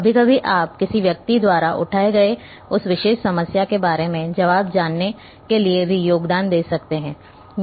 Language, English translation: Hindi, Sometimes you can also contribute or help others if you know the answer about that particular problem by that person has raised